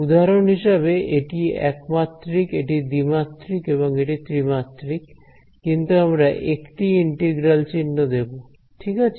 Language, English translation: Bengali, For example, this is a 1D, this is 2D, and this is 3D we are only going to put one integral sign ok